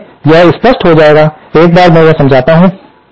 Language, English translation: Hindi, So, this will be clear once I explain this